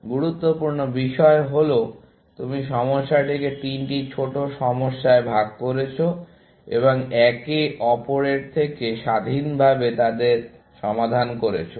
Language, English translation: Bengali, The important thing is that you have broken the problem down into three smaller problems, and solve them independently, of each other